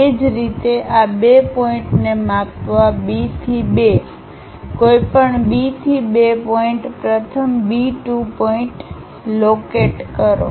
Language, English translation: Gujarati, Similarly, measure this 2 point from B to 2, whatever B to 2 point first locate B 2 point